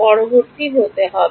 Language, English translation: Bengali, T a has to be next